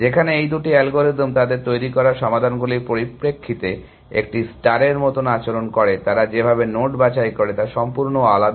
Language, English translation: Bengali, Whereas, these two algorithms behave like A star in terms of the solutions they produce, the way they pick nodes is different